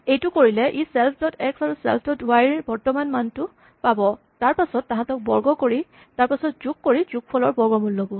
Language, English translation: Assamese, So, when we do this, it will look at the current value of self dot x, the current value of self dot y, square them, add them and take the square root